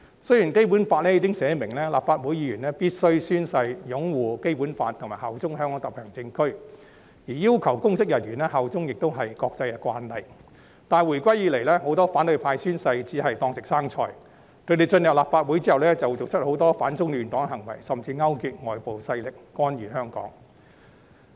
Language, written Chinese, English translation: Cantonese, 雖然《基本法》已訂明，立法會議員必須宣誓擁護《基本法》及效忠香港特別行政區，而要求公職人員效忠亦是國際慣例，但回歸以來，很多反對派宣誓似是"當食生菜"，他們進入立法會後做出很多反中亂港的行為，甚至勾結外部勢力干預香港事務。, It is specified in the Basic Law that Members of the Legislative Council must swear to uphold the Basic Law and swear allegiance to HKSAR; it is also an international practice to require public officers to pledge allegiance . In spite of these since the handover of sovereignty a lot of Members from the opposition camp did not take their oath seriously; and after joining the Legislative Council they engaged in numerous anti - China disruptive acts or even colluded with foreign forces to interfere in local affairs